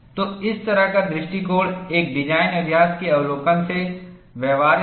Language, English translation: Hindi, So, this kind of approach is viable, from a design practice point of view